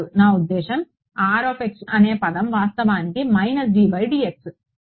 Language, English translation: Telugu, No I mean the term R x is actually minus d by d x and hold this